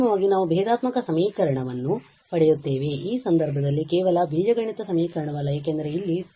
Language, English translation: Kannada, Finally, we will get this differential equation in this case not just the algebraic equation because of this t there